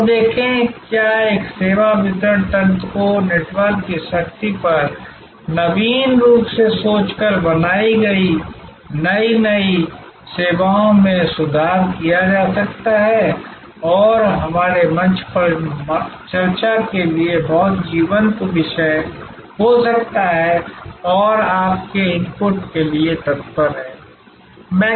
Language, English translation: Hindi, And see, what a service delivery mechanisms can be improved innovative new services created by thinking innovatively on the power of network and can be very lively topic for discussion on our forum and look forward to your inputs